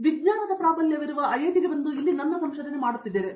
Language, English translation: Kannada, So, coming to an IIT which is a science dominated place and doing my research here